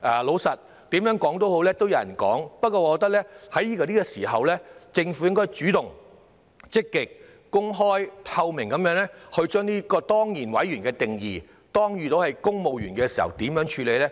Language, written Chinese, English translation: Cantonese, 老實說，不管怎樣也會有人批評的，但我認為這個時候，政府應該主動、積極、公開透明地解說這個當然委員的定義，萬一是公務員時，會如何處理呢？, Frankly speaking there will be criticisms no matter what we do but I think at this moment the Government should take the initiative to explain in an active open and transparent manner the definition of this ex - officio member and how it would be handled in case the post is held by a civil servant